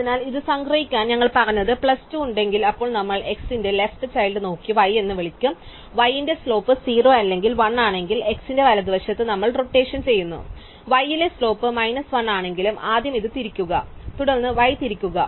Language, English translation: Malayalam, So, to summarize this what we have said is that if we have plus 2, then we look at the left child of x call it y, if the slope of y is 0 or 1 we rotate at right at x, if the slope at y is minus 1 be first rotate this and then we rotate y